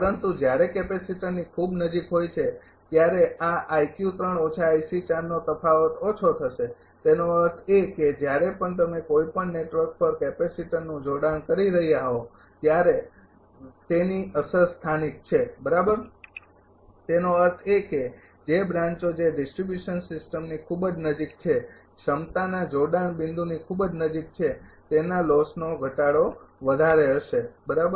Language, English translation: Gujarati, But when is very close to the capacitor this i q 3 minus i is the difference will be less; that means, whenever you are connecting a capacitor at any network right it effect is local; that means, that branches which are very close to for distribution system very close to the capacity connecting point theirs loss reduction will be higher right